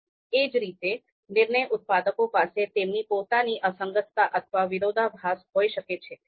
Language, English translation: Gujarati, So similarly, decision makers they might have their own inconsistencies or contradiction